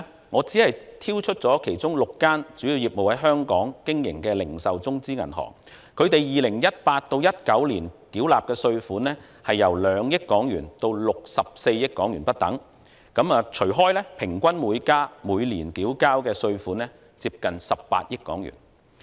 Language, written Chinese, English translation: Cantonese, 我只挑出其中6間主要業務在香港經營的零售中資銀行，他們在 2018-2019 年度所繳納的稅款由2億元至64億元不等，平均每間每年繳交稅款接近18億元。, I have picked only six of the Chinese retail banks whose main businesses operate in Hong Kong . The tax amounts payable by them for the year of assessment 2018 - 2019 range from 200 million to 6.4 billion . On average each of them pays nearly 1.8 billion per year in taxes